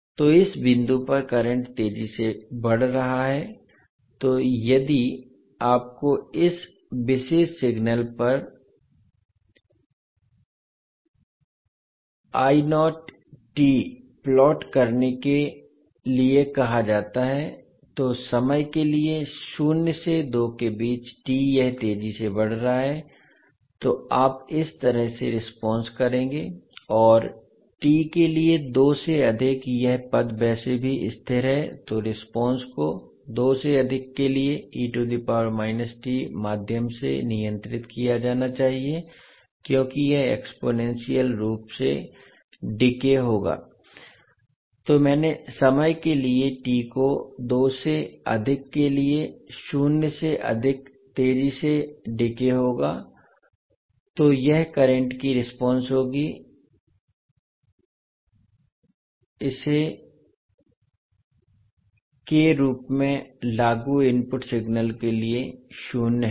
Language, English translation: Hindi, So at this point the the current is exponentially rising so if you are asked to plot the I not t also on this particular signal so for time t ranging between zero to two it is exponentially raising so you response would be like this, and for t greater than two this term is anyway constant so the response should be govern by e to the power minus t means for t greater than two it would be exponentially decaying so the I naught t for time t greater than two would be exponentially decaying so this would be the response of current I naught for the input signal applied as Is